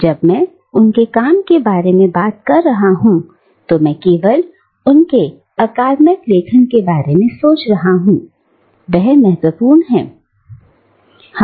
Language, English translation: Hindi, When I am talking about work, I am not only thinking about her academic writings, they are important